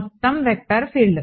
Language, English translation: Telugu, The whole vector field